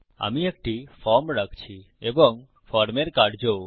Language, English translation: Bengali, Im going to have a form and the action of the form